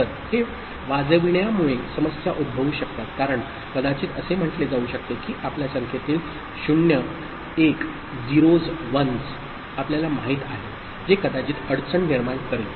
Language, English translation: Marathi, So, this ringing can create issues, because it might say that number of you know 0s 1s you know, come into the picture which might create difficulty